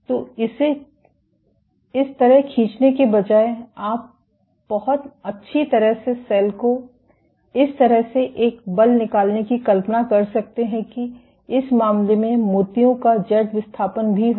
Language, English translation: Hindi, So, instead of pulling like this, you could very well imagine the cell exerting a force like this in that case there will be Z displacement of the beads as well